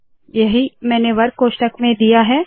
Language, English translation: Hindi, This is what I have given within the square brackets